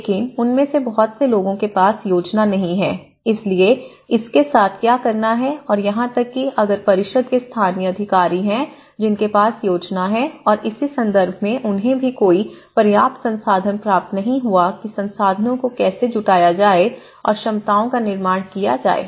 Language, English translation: Hindi, But many of them they are not having plan, they don’t have plan, so what to do with this and even, if there are the council's which are having the local authorities which are having plan and they also they did not receive any adequate recognition in terms of how to mobilize the resources and how to build the capacities